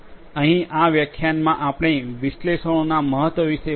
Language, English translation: Gujarati, Here in this lecture we talked about the importance of analytics